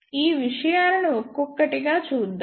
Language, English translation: Telugu, Let us see these things one by one